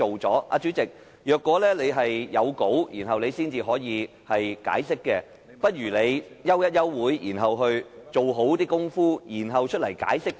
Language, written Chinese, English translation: Cantonese, 主席，如果你要有講稿才能解釋，不如你先行暫停會議，做好工夫，然後再向我們解釋。, President if you need to have a script in order to give an explanation you may first suspend the meeting to get ready for an explanation